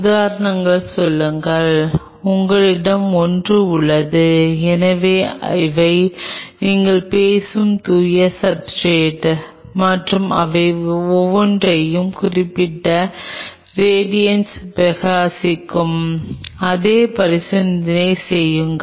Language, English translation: Tamil, Say for example, you have a, so these are pure substrates what you are talking about and exactly do the same experiment you shine each one of them with particular radiation